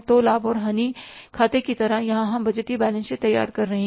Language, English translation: Hindi, So like the profit and loss account, here we are preparing the budgeted balance sheet